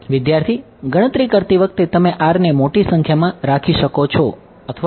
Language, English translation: Gujarati, While computing do you put r to be a large number or